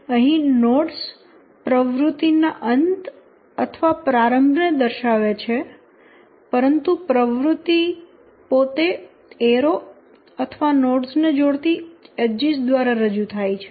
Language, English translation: Gujarati, In this, the nodes, they represent end or start of activity, but the activity itself is represented on the arrows or the edges connecting the nodes in the diagram